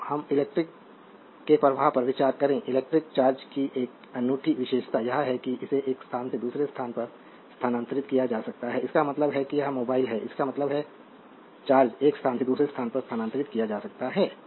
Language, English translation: Hindi, So, now, consider the flow of electric, a unique feature of electric charge is that it can be transfer from one place to another place; that means, it is mobile; that means, charge can be transfer for one place to another